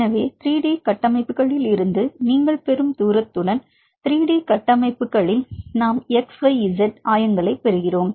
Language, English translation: Tamil, So, now we have the q 1, we have the q 2; so, with the distance you get from the 3D structures because in the 3D structures; we get the xyz coordinates